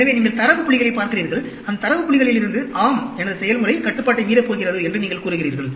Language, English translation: Tamil, So, you look at the data points and from those data points, you say, yes, my process is going to go out of control